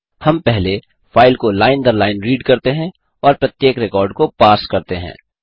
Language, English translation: Hindi, We first read the file line by line and parse each record